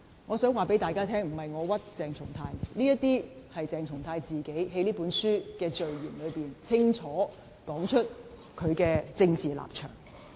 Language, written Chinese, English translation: Cantonese, "我想告訴大家，不是我誣衊鄭松泰，是鄭松泰自己在這書的序言中，清楚說明他的政治立場。, I wish to tell Honourable colleagues that I am not smearing CHENG Chung - tai but he clearly explains his political stance in the preface of his own book